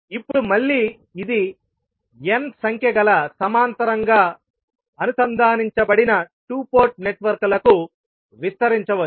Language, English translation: Telugu, Now, again this can be extended to any n number of two port networks which are connected in parallel